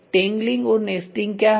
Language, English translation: Hindi, What is tangling and nesting